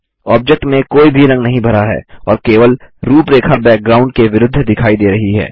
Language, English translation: Hindi, The object is not filled with any color and only the outline is seen against the background